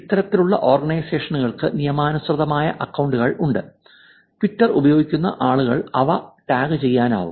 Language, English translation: Malayalam, These kinds of organizations have legitimate accounts and people using Twitter can tag them